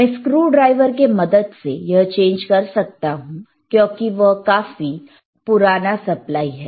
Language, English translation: Hindi, I can change it using the screwdriver, right this is , because it is a little bit old